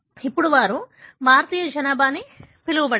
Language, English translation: Telugu, Now, they seeded the so called Indian population